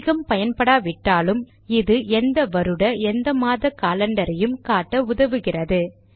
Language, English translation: Tamil, Though not as common this helps you to see the calender of any month and any year